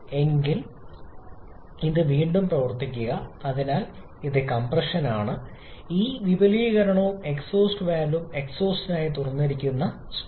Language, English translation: Malayalam, If, I run it again, so, this is compression, this expansion and exhaust valve is open to exhaust stroke